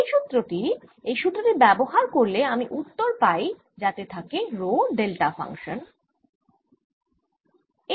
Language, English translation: Bengali, this formula, use of this formula directly, gives me this answer, with rho being the delta function